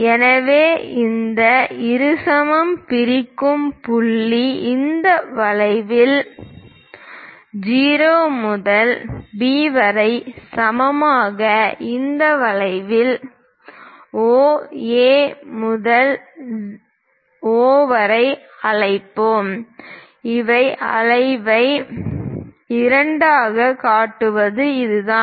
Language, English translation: Tamil, So, the point where this bisector dividing; let us call O, A to O along this arc equal to O to B along this arc; this is the way we construct bisecting an arc